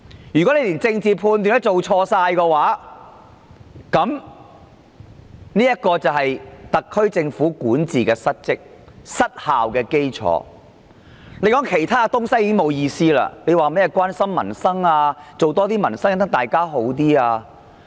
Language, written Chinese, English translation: Cantonese, 如果連政治判斷也出錯，特區政府便管治不當及失效，再說其他東西已沒有意思，遑論甚麼關心民生、改善市民生活質素等說話。, If the SAR Government makes the wrong political judgments its governance is poor and ineffective . It is meaningless to talk about other issues such as caring about peoples livelihood improving quality of living etc